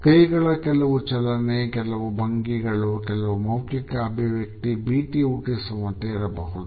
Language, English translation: Kannada, There may be some hand movements, certain postures, certain facial expressions which can be threatening and menacing